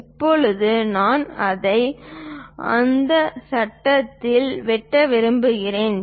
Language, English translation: Tamil, Now I want to slice it on that frame